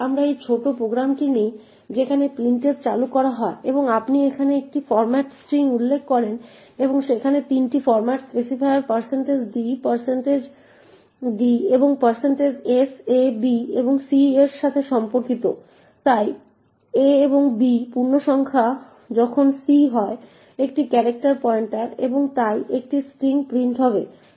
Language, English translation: Bengali, So, we take this small program where printf gets invoked and you specify a format string over here and there are 3 format specifiers % d, % d and % s corresponding to a, b and c, so a and b are integers while c is a character pointer and therefore would print a string